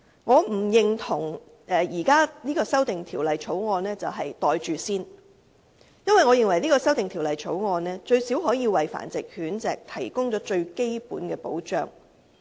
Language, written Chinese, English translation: Cantonese, 我不認同現時的《修訂規例》是"袋住先"，因為它最低限度可以為繁殖狗隻提供最基本的保障。, I do not agree that the Amendment Regulation is a pocket - it - first proposal for it has at least provided fundamental protection for dogs kept for breeding